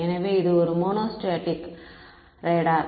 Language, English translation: Tamil, So, this is a monostatic radar